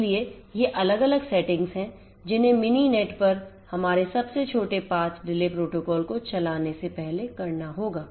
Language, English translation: Hindi, So, these are these different settings that will have to be done before we run our thus shortest path delay protocol on Mininet